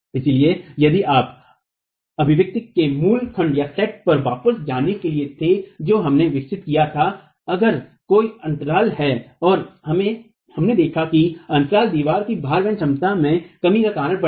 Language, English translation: Hindi, So if you were to go back to the original set of expressions that we developed, if there is a gap and we have seen that the gap will lead to a reduction in the load carrying capacity of the wall, right